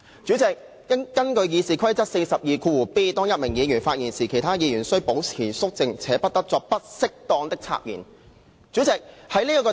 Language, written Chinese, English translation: Cantonese, 主席，根據《議事規則》第 42d 條，"當一名議員發言時，其他議員須保持肅靜，且不得作不適當的插言"。, President under RoP 42d while a Member is speaking all other Members shall be silent and shall not make unseemly interruptions